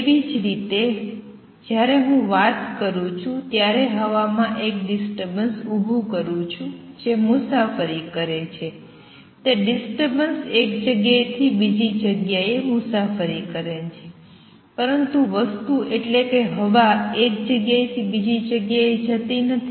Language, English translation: Gujarati, Similar, when am talking I am creating a disturbance a pressure disturbance in the air which travels; that disturbance travel from one place to other, but the material; the air does not go from one place to another